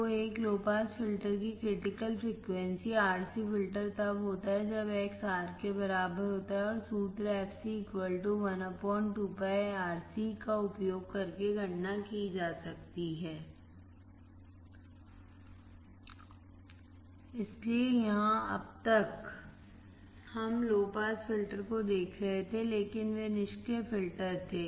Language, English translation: Hindi, So, critical frequency of a low pass filter, RC filter occurs when X equals to R and can be calculated using the formula fc= 1/(2ΠRC) So, until here what we were looking at low pass filter, but that were passive filters